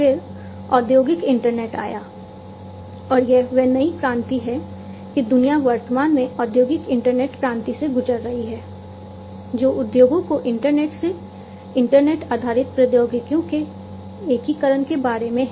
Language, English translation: Hindi, Then came the industrial internet and this is this new revolution that the world is currently going through, the industrial internet revolution, which is about integration of internet based technologies to the internet to the industries